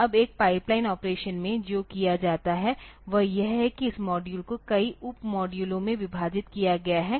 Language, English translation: Hindi, Now, in a pipelined operation what is done is that this delay this module is divided into a number of sub modules, fine